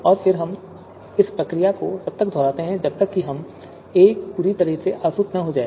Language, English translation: Hindi, And then we keep on, we can keep on repeating repeating this process until A is distilled completely